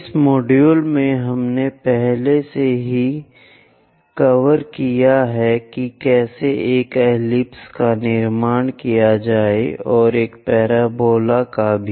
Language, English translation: Hindi, In this conic sections, we have already covered how to construct an ellipse and also a parabola